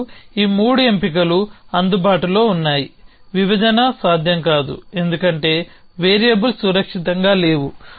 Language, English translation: Telugu, So, we have these 3 option available separation is not possible, because there no variables safe